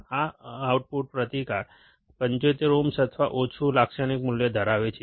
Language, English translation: Gujarati, This output resistance, has a typical value of 75 ohms or less